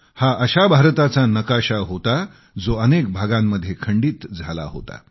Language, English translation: Marathi, It was the map of an India that was divided into myriad fragments